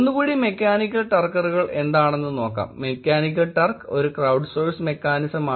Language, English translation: Malayalam, Again please try and look at what are Mechanical Turkers, mechanical turk is a crowdsourced mechanism